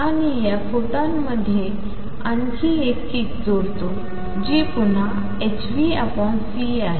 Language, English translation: Marathi, And this adds another kick to the photon which is again h nu by c